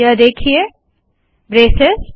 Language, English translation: Hindi, See this braces